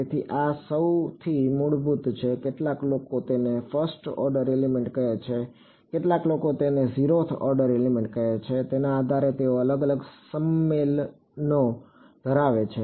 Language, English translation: Gujarati, So, this is the most basic some people call it first order element some people call it zeroth order element depending they have different conventions